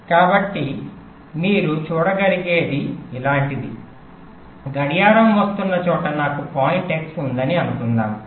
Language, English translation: Telugu, so what i you can see is something like this: let say i have a point x where the clock is coming